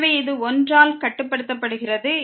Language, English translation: Tamil, So, this is bounded by 1